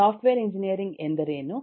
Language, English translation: Kannada, so what is engineering